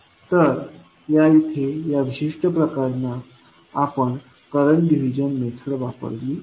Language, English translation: Marathi, So, here in this particular case we used current division method